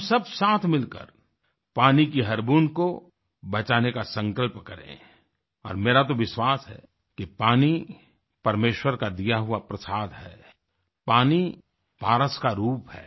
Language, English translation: Hindi, We together should all resolve to save every drop of water and I believe that water is God's prasad to us, water is like philosopher's stone